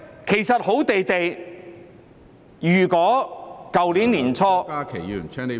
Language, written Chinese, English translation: Cantonese, 其實好端端的，如果去年年初......, Actually at the beginning of last year when everything was fine